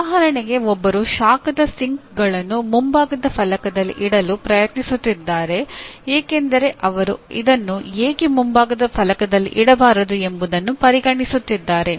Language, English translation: Kannada, For example we had someone long back who is trying to put his heat sinks right on the front panel because he considers why not put it on the front panel